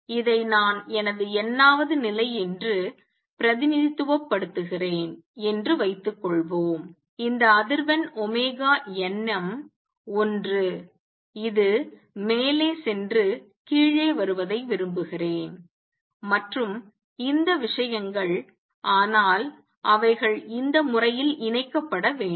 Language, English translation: Tamil, Suppose this is my nth level what I am representing this, this frequency omega n n minus either would like this going up and coming down and all these things, but they have to be combined in this manner